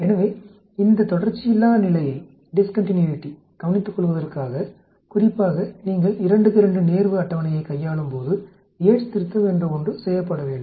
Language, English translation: Tamil, So, in order to take care of this discontinuity especially when you are hand handling 2 by 2 contingency table there is something called the Yate’s correction that has to be done